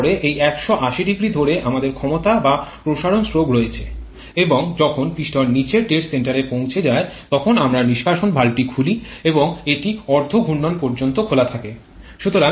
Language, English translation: Bengali, Then we have this power or expansion stroke over 180 degree and when the piston reaches the bottom dead center then we open the exhaust valve and it kept open over half revolution